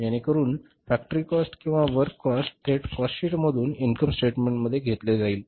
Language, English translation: Marathi, So that factory cost or the works cost will directly be taken from the cost sheet to the income statement